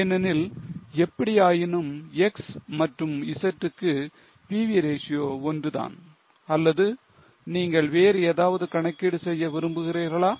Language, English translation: Tamil, Because anyway, PV ratio is same for X and Z or any other calculation you would like to do